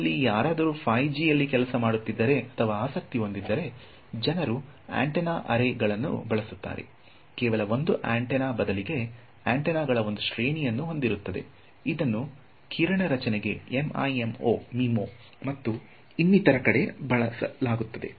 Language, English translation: Kannada, So, any of you who are in working or interested in 5G, people will be using antenna arrays, instead of just a single antenna there will be an array of antennas which will be used to do beam forming MIMO and all of these things